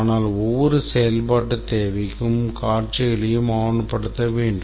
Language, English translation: Tamil, But then for every functional requirement we must also document the scenarios